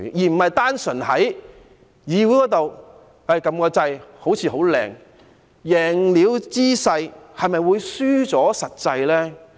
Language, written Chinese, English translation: Cantonese, 而不是單純在議會裏按一個掣，好像很美麗的圖畫，贏了姿勢，是否會輸掉實際呢？, It should not be like that kind of beautiful picture A simple press of the button at Council meetings will work magic . After all will the winning posture mean nothing at all but actual loss?